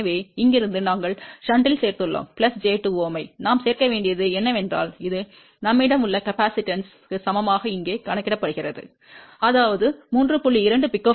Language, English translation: Tamil, So, from here we have added in shunt and what we added to added plus j 2 which is equivalent to the capacitance which we have calculated here